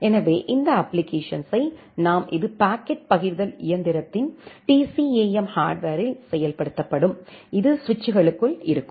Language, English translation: Tamil, So, these applications they are nothing but a program from that program, we need to map it to the corresponding rule, which will be executed at that TCAM hardware of the packet forwarding engine, which is there inside the switches